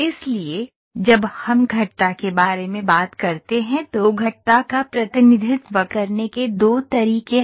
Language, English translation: Hindi, So, when we talk about curves there are two ways of representing the curves